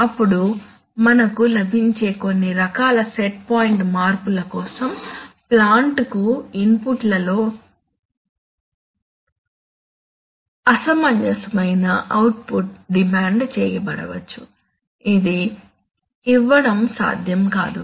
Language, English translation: Telugu, Then so for certain kinds of set point changes we may get, I mean unreasonable output in inputs to the plant may be demanded which is not possible to be given